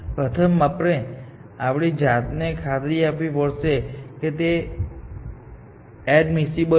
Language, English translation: Gujarati, First, we should convince ourselves that it is admissible